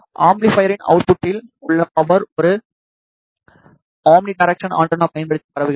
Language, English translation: Tamil, The power at the output of the amplifier is transmitted in a using an omnidirectional antenna